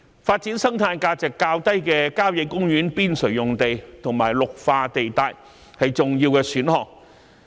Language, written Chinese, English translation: Cantonese, 發展生態價值較低的郊野公園邊陲用地和綠化地帶，是重要的選項。, Developing sites with relatively low ecological value on the periphery of country parks and green belt areas is an important option